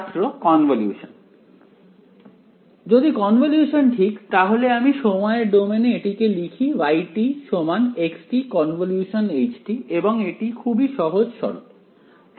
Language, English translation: Bengali, If a convolution right so I just write it in time domain I write this as y is equal to the convolution of x and h alright pretty straight forward